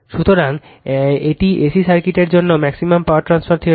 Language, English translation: Bengali, So, for A C circuit also very simple it is we will see the maximum power transfer theorem